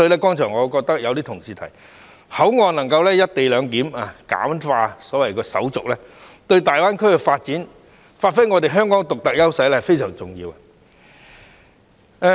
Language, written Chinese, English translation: Cantonese, 剛才也有同事提到，口岸能夠"一地兩檢"，簡化手續，對大灣區的發展及發揮香港的獨特優勢非常重要。, A colleague has also mentioned that if co - location arrangements can be made and the formalities can be simplified at the boundary crossings it will play a vital part in the development of GBA as well as giving play to the unique advantage of Hong Kong